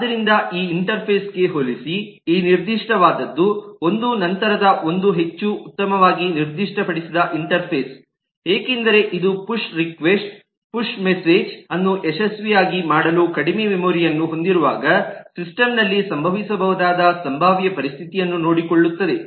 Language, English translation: Kannada, the later one is a more wellspecified interface because it takes care of a potential situation that can happen in the system when it actually has every low memory to make a push request/push message actually successful